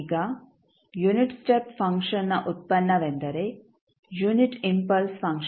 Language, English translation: Kannada, Now, derivative of the unit step function is the unit impulse function